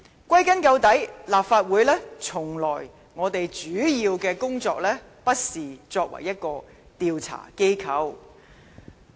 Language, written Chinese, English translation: Cantonese, 歸根究底，立法會主要的工作從來不是作為調查機構。, After all the main role of the Legislative Council is not an investigative body